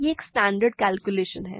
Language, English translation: Hindi, This is a standard calculation